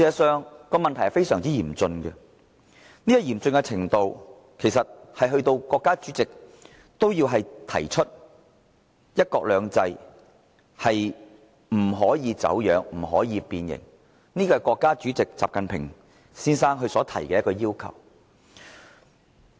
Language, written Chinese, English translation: Cantonese, 這問題非常嚴峻，嚴峻程度足以令國家主席也要提出"一國兩制"不可以走樣，不可以變形，這是國家主席習近平先生所提出的要求。, The problem is very serious so serious that the President of the Peoples Republic of China stated that the principle of one country two systems must not be distorted or twisted . This is the request made by President XI Jinping